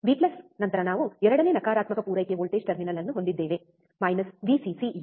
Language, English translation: Kannada, V plus then we have second negative supply voltage terminal minus Vcc which is this one